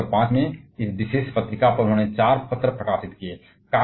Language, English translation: Hindi, On this particular journal in the year 1905 he published 4 papers